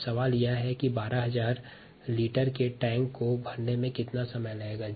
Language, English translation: Hindi, now the question is: how long would it take to fill a tank